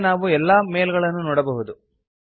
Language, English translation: Kannada, We can view all the mails now